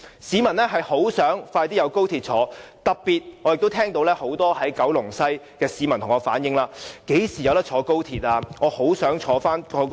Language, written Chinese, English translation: Cantonese, 市民十分希望可以在短期內乘搭高鐵，特別是很多居住於九龍西的市民向我反映，詢問何時能夠乘搭高鐵。, Members of the public very much hope that they can take XRL soon . In particular many residents in West Kowloon have asked me when they can travel by XRL